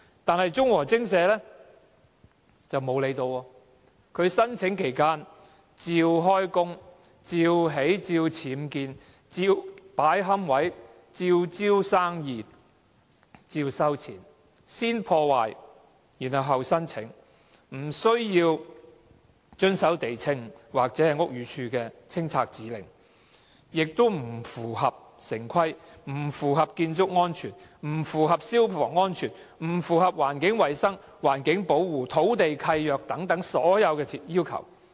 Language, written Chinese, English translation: Cantonese, 但是，忠和精舍並無理會，在申請期間照常運作，如常僭建、擺放龕位、招攬生意、收取費用，先破壞，後申請，不遵守地政總署或屋宇署的清拆指令，不符合城市規劃、建築安全、消防安全、環境衞生、環境保護、土地契約等所有要求。, That said Chung Woo Ching Shea has paid no heed and continued to operate during the application period . It has erected illegal structures set up niches to solicit business and charge fees; it first damaged the environment and then applied for approval; it ignored removal orders issued by the Lands Department or the Buildings Department and contravened all the requirements concerning urban planning building safety fire safety environmental hygiene and environmental protection as well as land leases